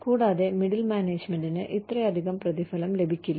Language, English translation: Malayalam, And, middle management may not be paid, so much